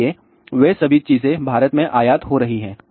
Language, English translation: Hindi, So, all those things are getting imported in India